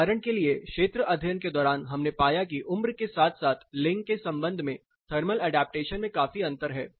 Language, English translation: Hindi, For example, during field studies we found a considerable difference is adaptation, thermal adaptation with respect to age as well as gender